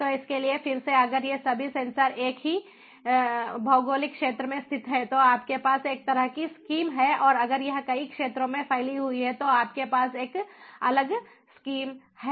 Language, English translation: Hindi, so for this again, if all these sensors are located in the same geographic, a region, you have one kind of scheme and if it is spanning across multiple regions you have a different scheme